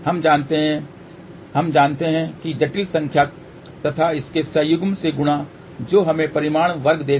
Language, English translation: Hindi, We know that complex number multiplied by its conjugate will give the magnitude square